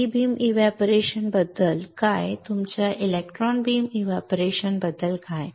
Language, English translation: Marathi, What about E beam evaporation what about your electron beam evaporation right